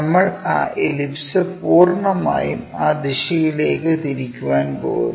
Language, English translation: Malayalam, That ellipse entirely we are going to rotate it in that direction